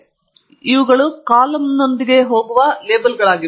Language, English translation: Kannada, So, these are the labels that go with the columns